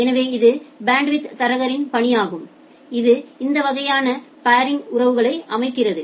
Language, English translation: Tamil, So, that is the task of the bandwidth broker, that sets up this kind of paring relationships